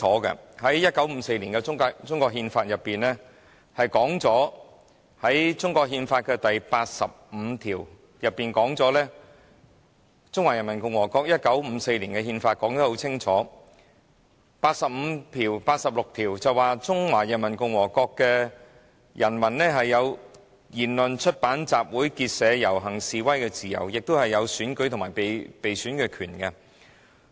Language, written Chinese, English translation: Cantonese, 其實《中華人民共和國憲法》寫得很清楚，而中華人民共和國1954年出版的《憲法》第八十六及八十七條說明，中華人民共和國公民有言論、出版、集會、結社、遊行及示威的自由，亦有選舉權及被選舉權。, In fact the Constitution of PRC has made clear stipulations . It was stipulated in Articles 86 and 87 of the Constitution of PRC which was published in 1954 that citizens of PRC enjoy freedom of speech freedom of the press freedom of assembly freedom of association freedom of procession and freedom of demonstration; and they also have the right to vote and stand for election